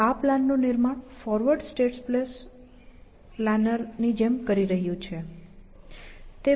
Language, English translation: Gujarati, So, it is doing, it is constructing the plan like a forward state space planner